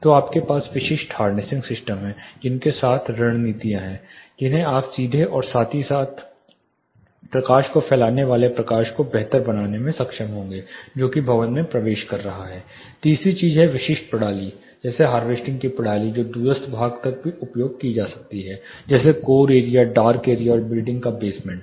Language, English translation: Hindi, So, you have specific harnessing systems with which are strategies adopting which, you will be able to improve direct as well as diffuse light which is entering the building third think is specific systems like harvesting system which are used even to remote part of the building core areas dark areas even to the basements